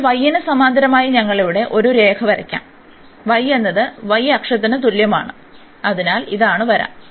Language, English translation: Malayalam, So, we will draw a line here parallel to the y, y is equal to y axis, so this is the line